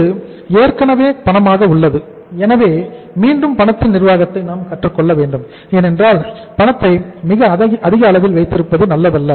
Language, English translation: Tamil, It is already cash so again we have to learn the management of cash because keeping too high level of the cash is also not good